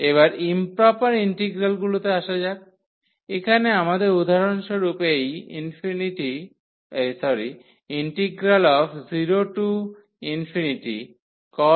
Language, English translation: Bengali, Coming to the improper integrals: so, here we have for example, this 0 to infinity cos x dx